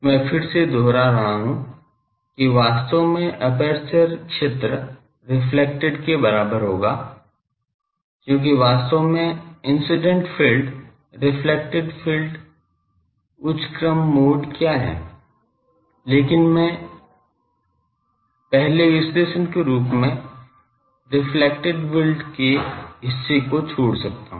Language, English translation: Hindi, I am again repeating that actually aperture field will be equal to the reflected, but the actually the what has incident field plus the reflected field plus the higher order modes, but I can neglect the reflected another part as a first analysis